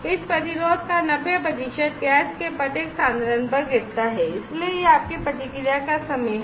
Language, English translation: Hindi, The fall 90 percent of this resistance at each concentration of the gas so that is your response time